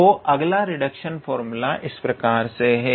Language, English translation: Hindi, So, this is one such reduction formula